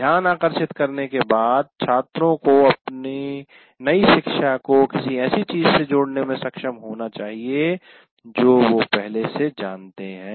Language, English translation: Hindi, And the next thing is after getting the attention, the students need to be able to link their new learning to something they already know